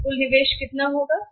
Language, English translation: Hindi, So, total investment will be how much